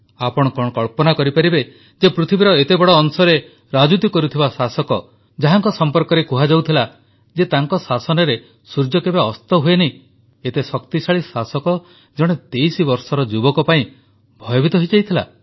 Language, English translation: Odia, Can you imagine that an Empire, which ruled over a huge chunk of the world, it was often said that the Sun never sets on this empire such a powerful empire was terrified of this 23 year old